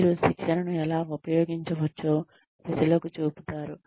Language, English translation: Telugu, You show people, how they can use the training